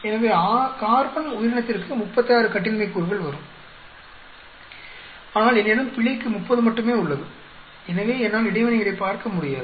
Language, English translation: Tamil, So, carbon organism will become 36 degrees of freedom, but I have only 30 for error, so I will not be able to look at the interactions